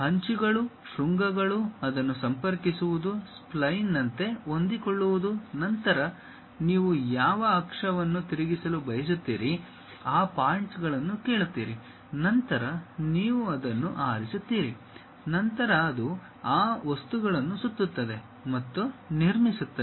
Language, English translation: Kannada, Takes that edges, vertices, connect it, fit something like a spline; then it asks you information about which axis you would like to really rotate, ask you for those points, you pick that; then it revolves and construct these objects